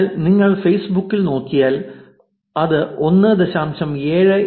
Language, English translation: Malayalam, So, if you look at facebook, where it is only 1